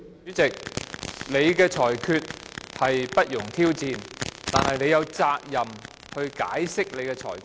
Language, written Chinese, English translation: Cantonese, 主席，你的裁決不容挑戰，但你有責任解釋你的裁決。, Your ruling shall not be subjected to challenge President but it is incumbent upon you to explain your ruling